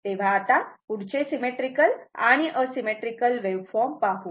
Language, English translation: Marathi, So now, next is that symmetrical and unsymmetrical wave forms